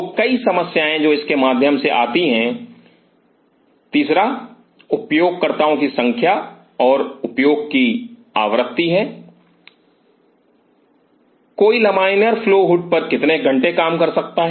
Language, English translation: Hindi, So, many problems which comes through it third is number of users and frequency of use, how many working hours on a laminar flow hood